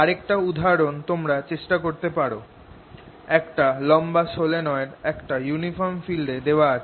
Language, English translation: Bengali, another example you may want to try is the long solenoid which is put again in a uniform field